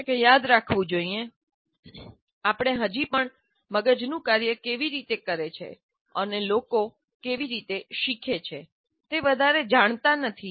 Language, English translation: Gujarati, And you should also remember, the teacher should remember, we still do not know very much how brain functions and how people learn